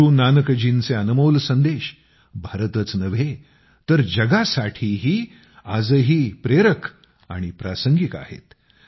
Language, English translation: Marathi, Guru Nanak Ji's precious messages are inspiring and relevant even today, not only for India but for the whole world